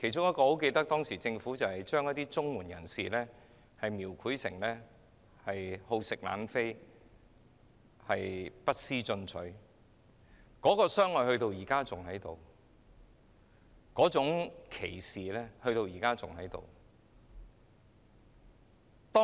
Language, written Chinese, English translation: Cantonese, 我記得其中之一是把領取綜援人士描繪成好逸惡勞、不思進取的一群，那種傷害和歧視至今仍然存在。, I remember that one of the tactics adopted was to describe CSSA recipients as a group of lazy bones who did not want to make progress in their life and the resultant damage and discrimination still exist today